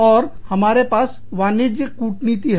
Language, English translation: Hindi, And, we have, Commercial Diplomacy